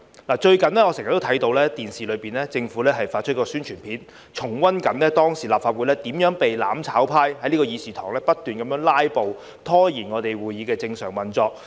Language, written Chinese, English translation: Cantonese, 我最近經常在電視看到政府發出的宣傳片，重溫當時立法會怎樣被"攬炒派"在議事堂不斷"拉布"，拖延會議的正常運作。, Recently I have often come across a TV Announcement in the Public Interest recounting how the mutual destruction camp constantly staged filibusters to procrastinate normal meetings in the Legislative Council Chamber